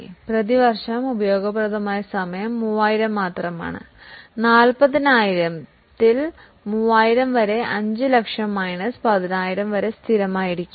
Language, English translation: Malayalam, So, the useful hours per year are only 3,000 so 3,000 upon 40,000 into 50, 5 lakh minus 10,000 which is constant